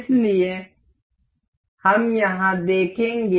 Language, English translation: Hindi, So, we will see here